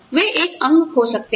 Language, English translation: Hindi, They may lose a limb